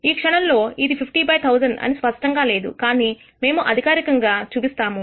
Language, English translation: Telugu, At this point it may not be clear that it is 50 by 1,000, but we will show this formally